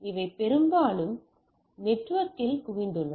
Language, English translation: Tamil, So, these are mostly concentrated in the networking